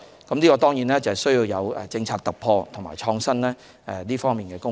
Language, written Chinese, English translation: Cantonese, 這當然需要有政策突破、創新的工作。, And of course this requires policy breakthrough and innovation